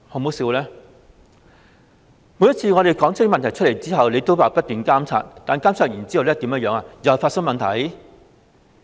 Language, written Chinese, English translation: Cantonese, 每次我們提出問題後，港鐵公司都說會不斷監察，但監察完後，又再發生問題。, Every time we had raised a question MTRCL would say it would keep monitoring but after its monitoring problems would arise again